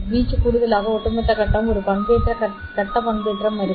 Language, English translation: Tamil, The overall phase in addition to this amplitude there will be a phase modulation